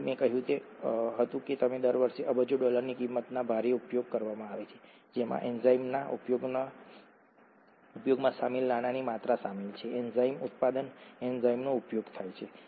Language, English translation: Gujarati, So, heavily used as I said billions of dollars worth per year is what what is involved, the amount of money involved in enzyme use; enzyme manufacture, enzyme use